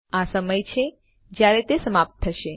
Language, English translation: Gujarati, Its the time in which it expires